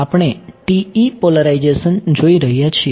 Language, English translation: Gujarati, We are looking at TE polarization